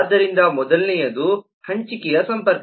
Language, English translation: Kannada, so the first is kind of sharing connection